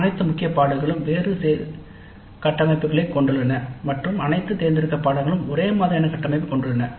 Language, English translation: Tamil, All core courses have variable structures and all elective courses have identical structure